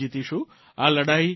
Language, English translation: Gujarati, We shall win this battle